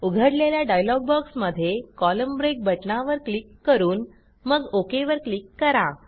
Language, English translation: Marathi, In the dialog box which appears, click on the Column break button and then click on the OK button